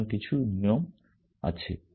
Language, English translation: Bengali, So, some rule it is there